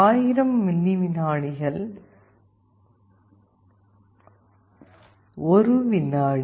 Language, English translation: Tamil, 1000 milliseconds is 1 second